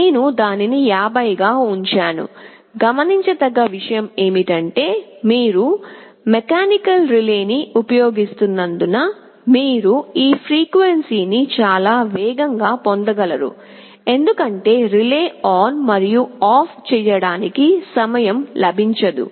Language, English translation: Telugu, I have kept it as 50; the point to note is that because you using a mechanical relay, you cannot have this frequency too much faster, as the relay will not get time to switch ON and OFF